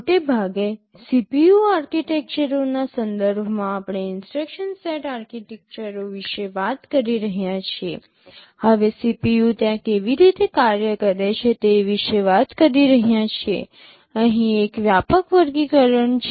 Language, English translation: Gujarati, Broadly with respect to CPU architectures we are so far talking about instruction set architectures, now talking about how the CPU works there is a broad classification here